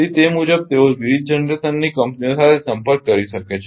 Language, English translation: Gujarati, So, accordingly they can contact with the different generation companies